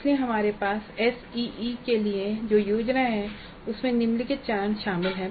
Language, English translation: Hindi, So the plan that we have for ACE includes the following steps